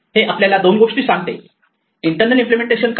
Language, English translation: Marathi, It tells us two things it tells us; what is the internal implementation